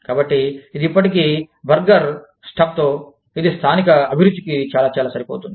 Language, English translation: Telugu, So, it is still a burger, with stuff, that is very, very, suited, to the local taste